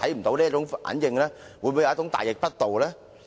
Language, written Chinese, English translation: Cantonese, 這樣是否稍嫌大逆不道？, Is that a bit too treacherous?